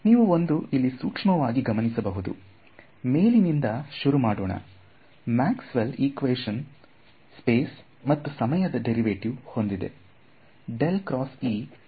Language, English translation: Kannada, And so you notice one thing let us start from the top, Maxwell’s equations had a derivative in space and a derivative in time right